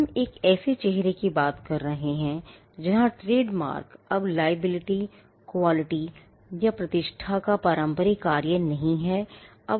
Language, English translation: Hindi, We are referring to a face where trademarks no longer perform the traditional function of liability quality or reputation